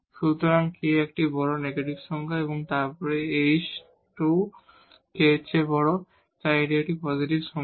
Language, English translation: Bengali, So, k is larger this is a negative number and then 2 h square is bigger than k, so this is a positive number